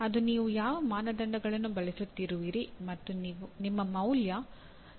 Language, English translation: Kannada, That depends on what criteria you are using depends on your values and standards